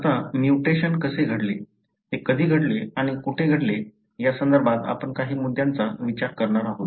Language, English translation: Marathi, Now, we are going to look into some issues with regard to how the mutation happened, when does it happened and where did it happened